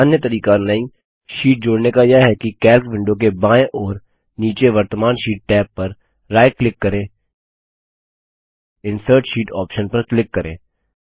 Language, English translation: Hindi, Another method for inserting a new sheet is by right clicking on the current sheet tab at the bottom left of the Calc window and clicking on the Insert Sheet option